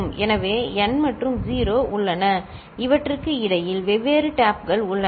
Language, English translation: Tamil, So, n and 0 are there and in between these are the different taps